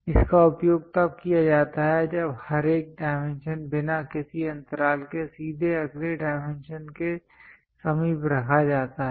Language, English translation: Hindi, It is used when each single dimension is placed directly adjacent to the next dimension without any gap